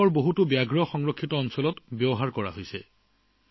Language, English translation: Assamese, It is being used in many Tiger Reserves of the country